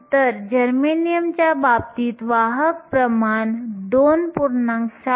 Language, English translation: Marathi, So, in case of germanium, the carrier concentration is 2